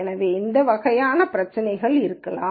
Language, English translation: Tamil, So, these kinds of issues could be there